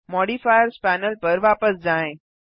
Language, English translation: Hindi, Go back to the Modifiers Panel